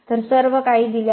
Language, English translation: Marathi, So, everything is given